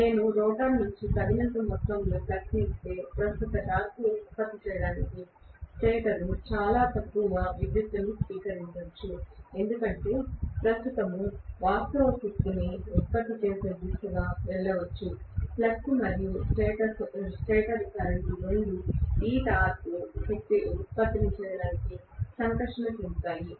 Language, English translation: Telugu, If I give just sufficient amount of flux from the rotor then the stator might draw very minimal current to produce the overall torque that current might basically go towards producing real power, because the flux and the stator current both of them interact to produce the torque